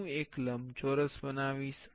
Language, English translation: Gujarati, I will be creating a rectangle